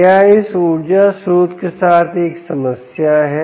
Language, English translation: Hindi, what is a problem with this energy source